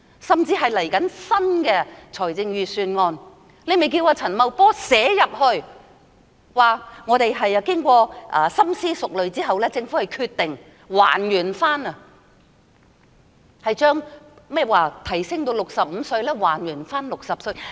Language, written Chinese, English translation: Cantonese, 甚至是稍後的新一份財政預算案，她可以要求陳茂波在預算案中表示，政府經過深思熟慮後，決定將提高至65歲的門檻還原至60歲。, She can even request Paul CHAN to announce in his Budget to be delivered later that the Government after thorough consideration has decided that the increased age threshold of 65 years be restored to 60 years